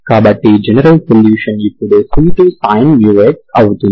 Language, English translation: Telugu, So general solution becomes now c2 sin mu x